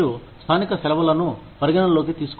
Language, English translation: Telugu, You have to take, local holidays into account